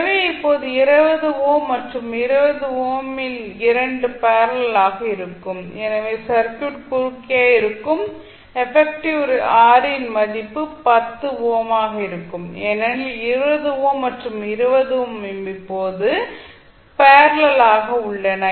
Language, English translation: Tamil, So, now 20 ohm and this 20 ohm both would be in parallel, so what we can say that the value of effective R which is across the circuit will be 10 ohm because 20 ohm and 20 ohm are in parallel now